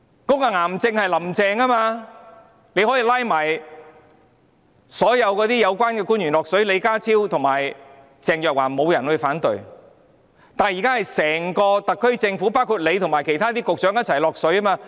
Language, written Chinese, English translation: Cantonese, 這個癌症便是"林鄭"，她可以將所有有關的官員拉下水，例如李家超和鄭若驊便沒有人會反對，但現在是整個特區政府，包括司長和其他局長也一起下水。, The cancer is Carrie LAM and she can pull all relevant officials into the water for example no one would object if John LEE and Theresa CHENG are the ones . However at present the whole SAR Government including the Chief Secretary for Administration and other Secretaries are also pulled into the water